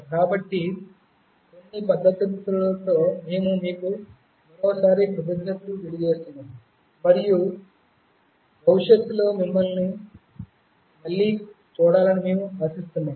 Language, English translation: Telugu, So, with these few words, we thank you once again, and we hope to see you again in the future